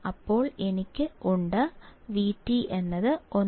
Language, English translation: Malayalam, Then I have V T equals to 1